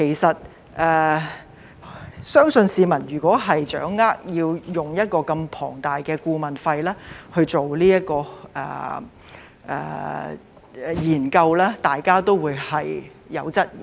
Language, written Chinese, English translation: Cantonese, 動用一筆如此龐大的顧問費去做研究，相信市民會有所質疑。, I believe that members of the public will question the need to pay such a huge consultancy fee for the study